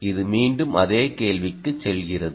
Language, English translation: Tamil, right, it goes back to the same problem